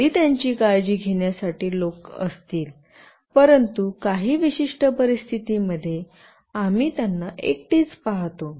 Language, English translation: Marathi, Even if there are people to look after them, but might be in certain situations, we find them all alone